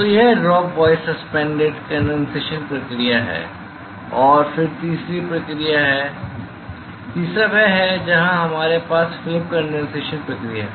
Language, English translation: Hindi, So, this is the drop wise suspended condensation process and then the third one; third one is where we have film condensation process